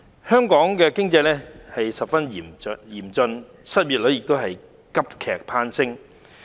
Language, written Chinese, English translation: Cantonese, 香港的經濟情況十分嚴峻，失業率急劇攀升。, The economic situation of Hong Kong is very serious with unemployment rate surging drastically